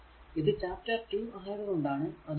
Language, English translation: Malayalam, 22, because it is the chapter 2 that is why 2